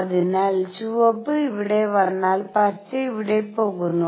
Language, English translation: Malayalam, So, red color comes here green goes here